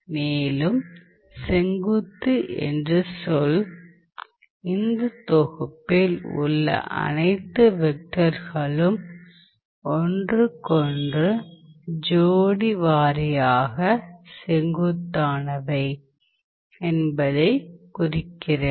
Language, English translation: Tamil, And orthogonal represents the fact that the vectors in this set all the vectors in this set are pair wise orthogonal to each other